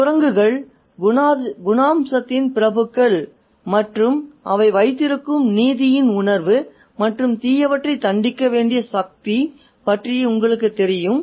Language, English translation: Tamil, And then we need to think about the nobility of character of the monkeys as well the sense of righteousness that they have and that they have and the power that they have to punish the wicked